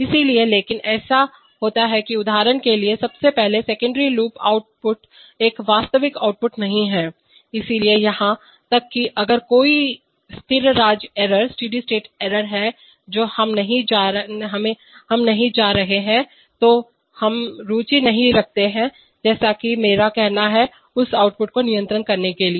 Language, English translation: Hindi, So, but, it so happens that for example firstly the secondary loop output is not a real output, so even if there is a steady state error we are not going to, we are not interested as I mean, per say to control that output